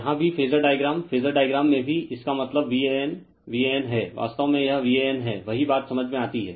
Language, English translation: Hindi, Here also in the phasor diagram phasor diagram also it means your V a n V a n actually it is V A N same thing understandable right